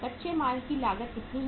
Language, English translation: Hindi, How much is the raw material cost